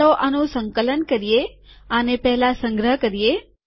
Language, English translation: Gujarati, Lets compile this , Lets first save this